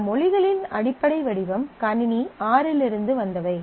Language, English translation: Tamil, And basic form of these languages allow that the are come from the System R